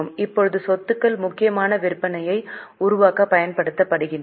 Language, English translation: Tamil, Now the assets are being used mainly for generating sales